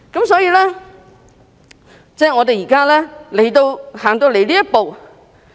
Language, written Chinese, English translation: Cantonese, 所以，我們現在才走到這一步。, Hence it takes so long for us to achieve so little progress